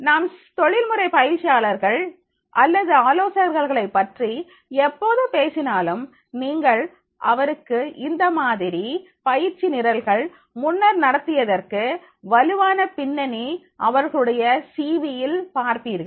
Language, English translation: Tamil, Whenever we talk about the professional trainers or consultants and you will find in their CV they are having the strong background that is the they have conducted this type of the training programs earlier also